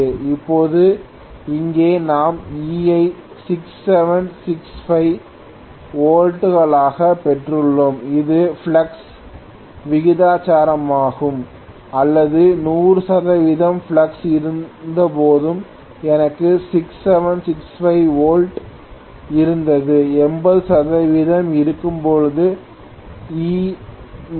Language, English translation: Tamil, Now here we got E to be 6765 volts and this is proportional to the flux or IF when it was 100 percent flux I had 6765 volts right, when it is 80 percent I am going to have E new is going to be 6765 multiplied by 0